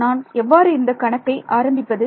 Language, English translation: Tamil, How do I start solving this problem